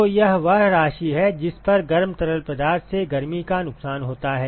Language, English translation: Hindi, So, that is the amount of that is the rate at which the heat is being lost by the hot fluid